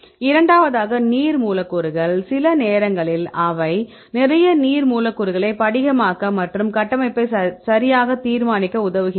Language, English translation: Tamil, So, then second case the water molecules right sometimes they put lot of water molecules, to crystalize and to solve the structure right